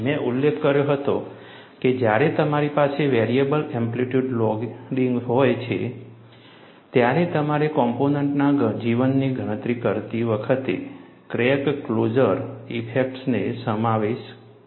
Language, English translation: Gujarati, I had mentioned, when we have variable amplitude loading, you will have to incorporate crack closure effects, while calculating the life of the component